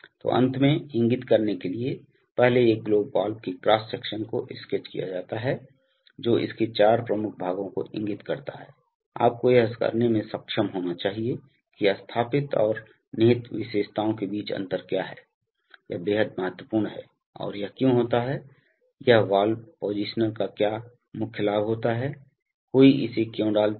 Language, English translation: Hindi, So to end, points to ponder, first is sketch the cross section of a globe valve and indicate four of its major parts, you should be able to do that, what is the difference between installed and inherent characteristics, this is extremely important and why this occurs, what is the main advantage of a valve positioner, why one puts it